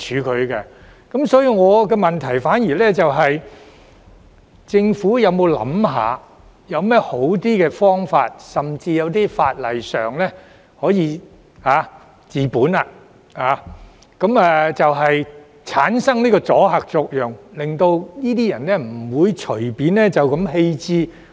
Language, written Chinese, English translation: Cantonese, 我的補充質詢是，政府有甚麼較好的方法，例如引用法例，可以治本，產生阻嚇作用，令這些人不會隨便棄置廢棄車輛？, My supplementary question is does the Government have better ways such as invoking a law to address the root cause and produce deterrent effect so that these people will refrain from arbitrarily abandoning their unwanted vehicles?